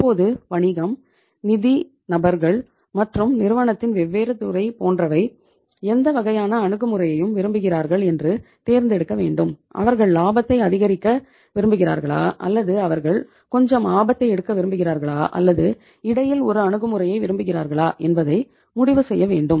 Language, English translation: Tamil, Now choices of the business, finance people and the different department of the firm what type of the approach they want to have whether they want to maximize the profitability or they want to take some risk or they want to have a approach in between